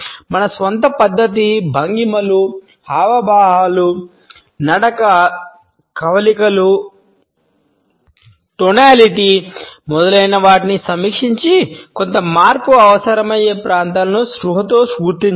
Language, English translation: Telugu, We should review our own mannerism, postures, gestures, gait, facial expressions, tonality etcetera and consciously identify those areas which requires certain change